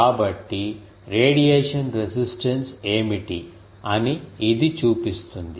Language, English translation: Telugu, So, this shows that what is the radiation resistance